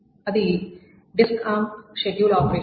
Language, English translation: Telugu, The first is the disk arm scheduling